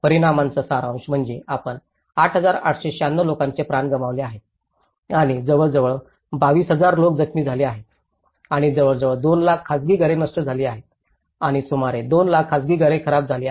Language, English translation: Marathi, The summary of the impacts is we talk about the 8,896 lives have been lost and almost 22,000 people have been injured and about nearly 5 lakhs private houses have been destroyed and about two lakhs private houses have been damaged